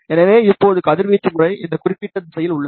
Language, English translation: Tamil, So, the radiation pattern now is in this particular direction